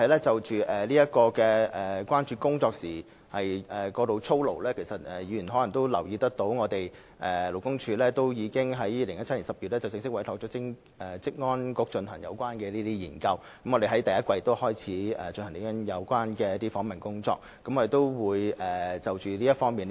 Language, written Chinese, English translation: Cantonese, 至於工作過勞的問題，議員可能留意到，勞工處已在2017年10月正式委託職安局進行有關研究，相關訪問工作已於本年第一季展開。, As for the issue of overwork Members may be aware that in October 2017 LD duly commissioned OSHC to conduct a study on this issue with the relevant interviews having been started since the first quarter of this year